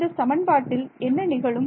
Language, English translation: Tamil, So, what happens to this expression